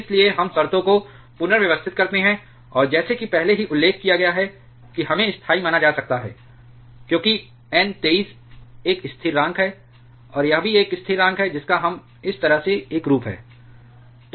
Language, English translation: Hindi, So, we rearrange the terms, and as already mentioned this we can be assumed\ to be constant because, the N 23 is a constant, and this also a constants we are having a form like this